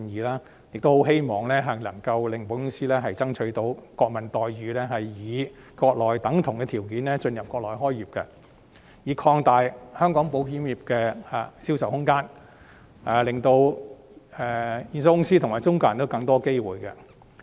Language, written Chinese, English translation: Cantonese, 我亦很希望能夠為保險公司爭取國民待遇，以國內等同的條件進入國內開業，擴大香港保險業的銷售空間，令保險公司及中介人都有更多機會。, I am also very keen to strive for national treatment for insurance companies so that they can set up business on the Mainland under the same conditions accorded to their Mainland peers thus expanding the sales market of the Hong Kong insurance industry and providing insurance companies and intermediaries with more opportunities